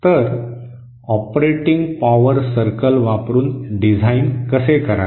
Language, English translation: Marathi, So, how to design using the operating power circle